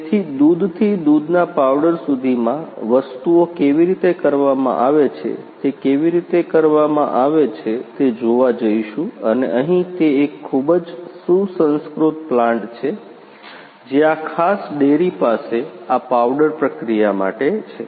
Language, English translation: Gujarati, So, from milk to milk powder how things are done that we are going to see in a how it is being done and here it is a very sophisticated plant, that this particular dairy has for this particular you know powder processing